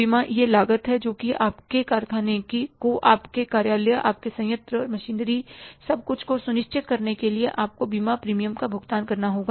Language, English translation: Hindi, Insurance is a cost that for insuring your factory, your office, for your plant, machinery, everything, you have to pay the insurance premium